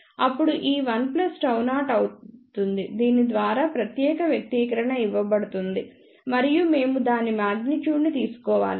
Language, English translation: Telugu, Then this term will be 1 plus gamma 0 is given by this particular expression and we have to take magnitude of that